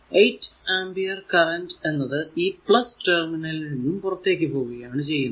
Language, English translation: Malayalam, So, this 8 ampere current actually this current actually come leaving the plus terminal right